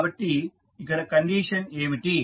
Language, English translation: Telugu, So, what is the condition